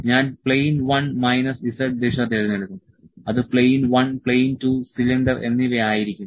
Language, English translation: Malayalam, I will select plane one minus z direction minus z direction it will be plane 1, plane 2 and cylinder